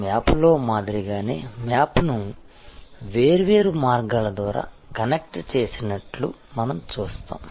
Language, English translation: Telugu, So, the map just like in a map we see different points connected through different ways